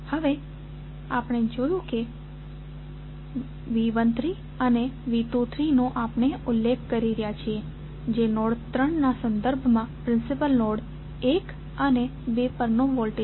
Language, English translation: Gujarati, Now, we have seen that we are mentioning V 13 and V 23 that is the voltages at principal node 1 and 2 with respect to node 3